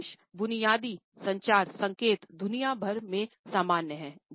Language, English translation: Hindi, Most of a basic communication signals are the same all over the world